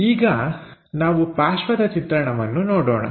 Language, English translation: Kannada, Now, let us look at the side view